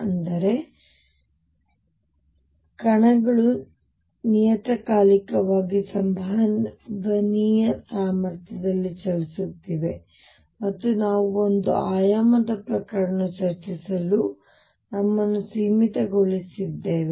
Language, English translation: Kannada, That means, the particles are moving in a potential which is periodic with periodicity a and we have confined ourselves to discussing one dimensional cases